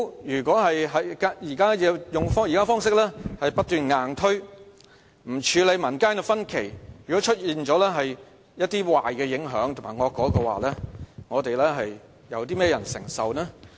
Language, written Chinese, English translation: Cantonese, 如果政府不斷用現時的方式硬推，不處理民間的分歧，如果出現了一些壞影響及惡果的話，會由甚麼人承受呢？, If the Government insists on pursuing its current hard - selling tactic and paying no attention to the division of public opinion who is to bear the bad effects or undesirable consequences which may arise from the proposal